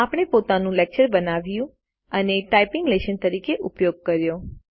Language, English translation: Gujarati, We have created our own lecture and used it as a typing lesson